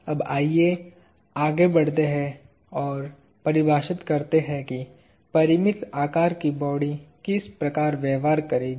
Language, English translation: Hindi, Now, let us move on and define what finite sized bodies would behave like